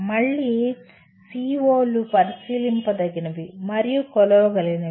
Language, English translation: Telugu, Again, COs should be observable and measurable